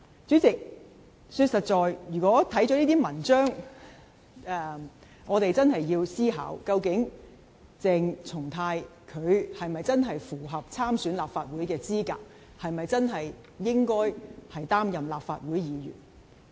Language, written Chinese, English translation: Cantonese, 主席，老實說，看過這些文章後，我們真的要思考，究竟鄭松泰是否真的符合參選立法會的資格，是否真的可以擔任立法會議員。, President frankly speaking having read such articles we do need to contemplate whether CHENG Chung - tai truly qualifies for standing in the Legislative Council Election and whether he can truly assume office as a Member of the Legislative Council